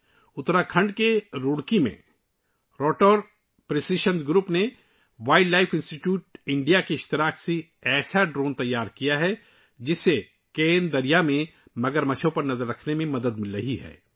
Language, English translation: Urdu, In Roorkee, Uttarakhand, Rotor Precision Group in collaboration with Wildlife Institute of India has developed a drone which is helping to keep an eye on the crocodiles in the Ken River